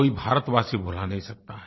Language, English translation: Hindi, No Indian can ever forget